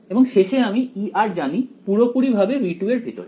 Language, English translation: Bengali, At the end of it I know E r completely inside v 2